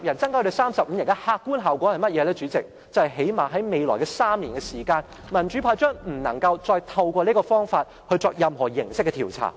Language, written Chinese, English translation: Cantonese, 主席，就是最低限度在未來3年，民主派將不能再透過這個方法作任何形式的調查。, President it means that in the next three years at least the pro - democracy camp will not be able to initiate investigations of any kind by means of the presentation of petitions